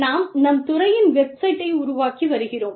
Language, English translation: Tamil, We are developing, the website of our department